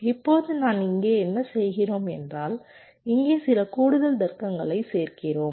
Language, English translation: Tamil, now what we are doing here is that we are adding some extra logic